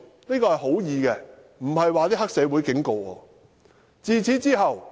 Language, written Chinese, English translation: Cantonese, "這是善意的，並非黑社會警告我。, It was well - intentioned not a warning from any triad member